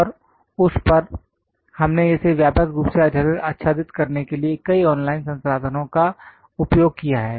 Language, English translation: Hindi, And over that we use many online resources cover it in a extensive way